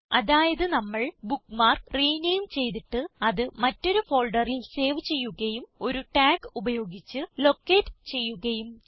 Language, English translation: Malayalam, So, we have renamed the bookmark, saved it in another folder and located it using a tag